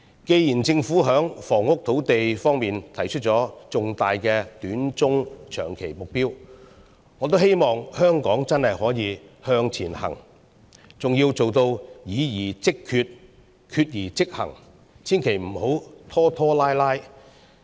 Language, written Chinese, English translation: Cantonese, 既然政府在房屋土地方面提出了重大的短中長期目標，我也希望香港真的能夠向前行，還要做到議而即決，決而即行，千萬不要拖拖拉拉。, Given that the Government has put forward major short - medium - and long - term goals in respect of housing land I also hope that Hong Kong can really forge ahead . In addition it is imperative for deliberations to be followed immediately by decisions and further followed by immediate actions leaving absolutely no room for procrastination